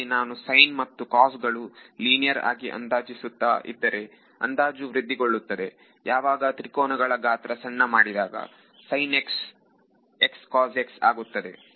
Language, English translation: Kannada, So, I am approximating sine and cos by linear in x and y that approximation gets better and better as the size of the triangles is made smaller sine x becomes x cos x whatever other approximation you want to do